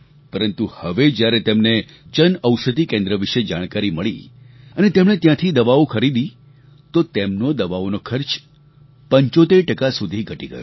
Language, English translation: Gujarati, But now that he's come to know of the Jan Aushadhi Kendra, he has begun purchasing medicines from there and his expenses have been reduced by about 75%